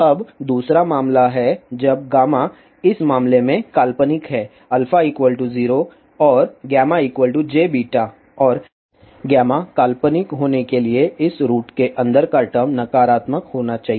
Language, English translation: Hindi, Now, second case is when gamma is imaginary in that case alpha will be 0 and gamma is equal to j beta and for gamma to be imaginary the term inside this root should be negative